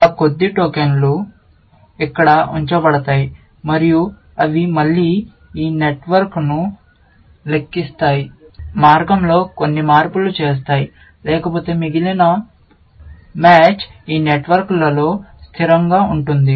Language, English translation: Telugu, Those few tokens would be put in here, and they will again, tickle down this network, and make some changes on the way, but otherwise, the rest of the match is, sort of, static in these networks